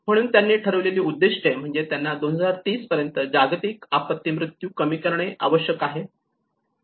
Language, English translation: Marathi, So the targets which they have set up is about they need to reduce the global disaster mortality by 2030